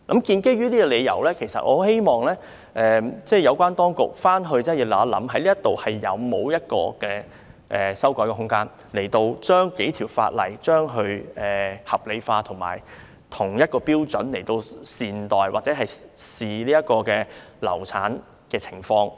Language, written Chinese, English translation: Cantonese, 基於這點，我十分希望有關當局研究一下有否修改法例的空間，理順數條相關法例的條文，按相同標準看待流產的情況。, Based on this I very much hope that the authorities concerned will examine whether there is room for legislative amendment so as to rationalize the provisions of several pieces of relevant legislation and treat miscarriage cases by the same standard